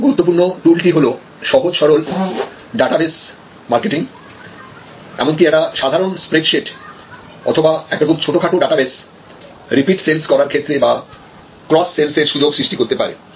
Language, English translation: Bengali, First tool that is very important, very simple data base marketing, even a simple spread sheet or a very minimal database can actually create a excellent opportunities for creating repeat sales, for creating up sales and cross sales opportunities